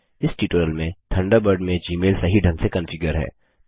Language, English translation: Hindi, In this tutorial, Thunderbird has configured Gmail correctly